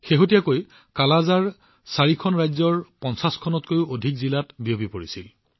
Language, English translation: Assamese, Till recently, the scourge of Kalaazar had spread in more than 50 districts across 4 states